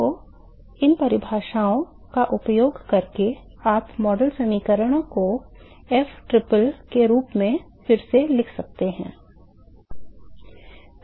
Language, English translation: Hindi, So, using these definitions you can rewrite the model equations as ftriple